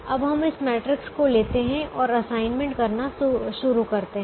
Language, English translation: Hindi, now let us take this matrix and start making the assignments